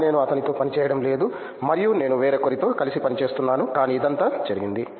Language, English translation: Telugu, But I am not working with him and I am working with somebody else, but that’s how it all happened